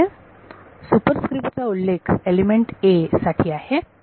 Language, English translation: Marathi, So, superscript a refers to element #a